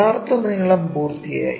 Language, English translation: Malayalam, True lengths are done